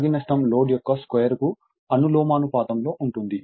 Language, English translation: Telugu, Copper loss copper loss is proportional to the square of the load